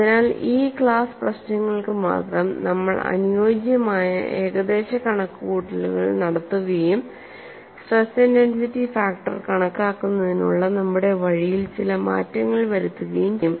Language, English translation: Malayalam, So, only for these class of problems we will make suitable approximations and find out certain modifications to our way of calculating stress intensity factor